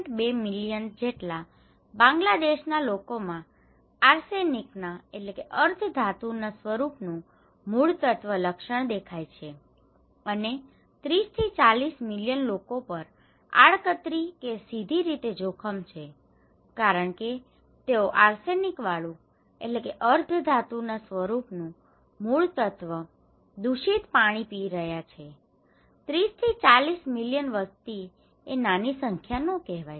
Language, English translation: Gujarati, 2 million people of Bangladesh already recognised identifiable symptoms of arsenic, okay and 30 to 40 million people are at risk indirectly or directly because they are drinking arsenic contaminated water, it is not a small number, 30 to 40 million population